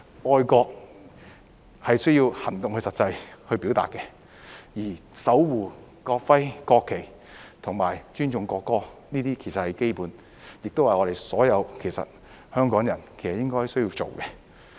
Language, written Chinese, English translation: Cantonese, 愛國是需要行動去實際表達的，而守護國徽、國旗及尊重國歌，這些其實是基本的，亦是我們所有香港人應當做的。, Patriotism needs to be expressed in actual action . Protecting the national emblem and national flag and respecting the national anthem are in fact the basic things that all of us in Hong Kong should do